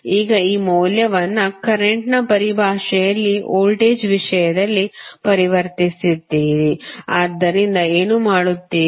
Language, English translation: Kannada, Now, you have written this value in terms of current converts them in terms of voltage, so what you will do